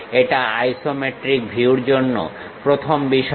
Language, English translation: Bengali, That is the first thing for isometric view